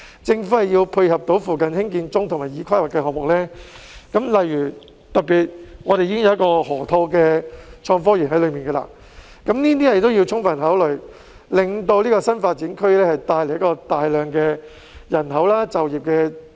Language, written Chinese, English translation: Cantonese, 政府要配合附近興建中及已規劃的項目，例如河套創科園，加以充分考慮，令這個新發展區能帶來大量人口和增加就業。, The Government should give due consideration to the projects under construction and planned in the vicinity such as the innovation and technology park at the Lok Ma Chau Loop so that this new development area can attract a large population inflow and increase employment